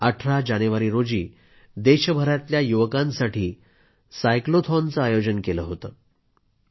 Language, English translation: Marathi, On January 18, our young friends organized a Cyclothon throughout the country